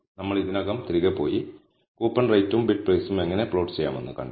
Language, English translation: Malayalam, Now, we have already gone back and seen how to plot coupon rate and bid price